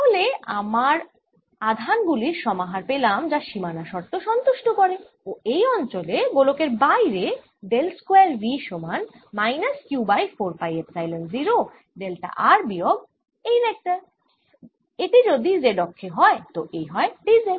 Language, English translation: Bengali, so we have found this combination of charges that satisfies the boundary condition and in this region, outside this sphere del square, v is also equal to minus q over epsilon, zero delta r minus this d vector, if it is on the z axis, it'll become d